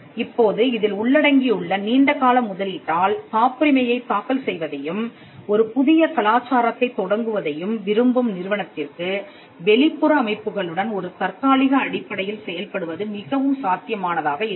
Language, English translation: Tamil, Now, because of the long term investment involved the preferred model for institute which is looking at filing patents and starting up a new culture then it will be more viable for them to deal with external organizations on an adhoc basis